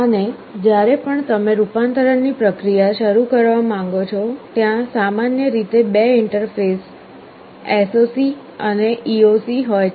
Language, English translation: Gujarati, And whenever you want to start the process of conversion, there are typically two interfaces, SOC and EOC